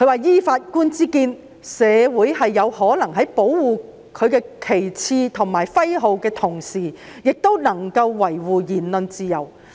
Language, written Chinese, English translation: Cantonese, "依本席之見，社會是有可能在保護其旗幟及徽號的同時，也能夠維護言論自由"。, I am of the view that it is possible for a society to protect its flags and emblems while at the same time maintaining its freedom of expression